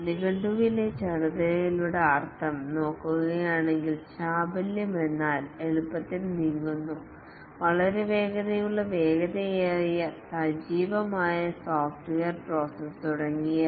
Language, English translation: Malayalam, If we look at the meaning of agile in dictionary, agile means easily moved, very fast, nimble, active software process, etc